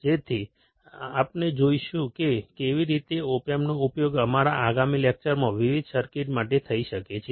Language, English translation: Gujarati, So, we will see how the op amps can be used for the different circuits in our next lecture